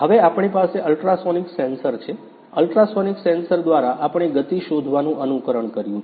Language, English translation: Gujarati, Now, we have ultrasonic sensor; through ultrasonic sensor we have simulated motion detection